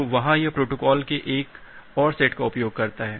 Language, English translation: Hindi, So, there it uses another set of protocol